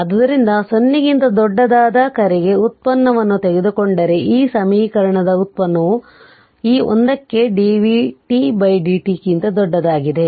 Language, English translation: Kannada, So, you take the derivative of your what you call ah your for t greater than 0, you take the derivative of this equation that dv t by dt for this 1 for t greater than 0